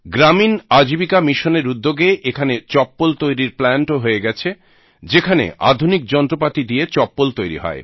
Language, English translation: Bengali, With the help of 'Gramin Ajivika Mission,'a slipper manufacturing plant has also been established here, where slippers are being made with the help of modern machines